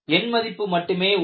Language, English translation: Tamil, It is only a number